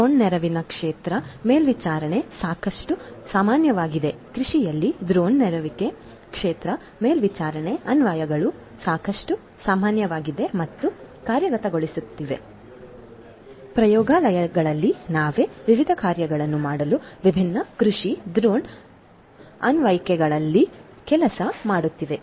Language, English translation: Kannada, Drone assisted field monitoring is quite common drone assisted field monitoring applications in agriculture are quite common and are being implemented, we ourselves in the lab we are working on different agricultural drone applications for doing number of different things